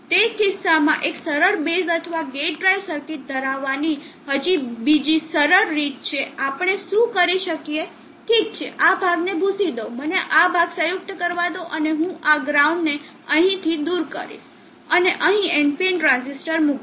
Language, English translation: Gujarati, In that case there is yet another simple way to have a simple base or gate drive circuit, what we can do is okay erase this portion let me joint the portion there, and I will remove this ground here and place on NPN transistor here